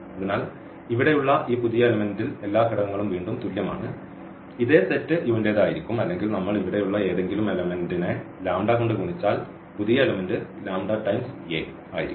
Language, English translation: Malayalam, So, this new element here all the components are equal again this will also belong to the same set U or we multiply by the lambda to any element here, the new element will be also lambda a, lambda a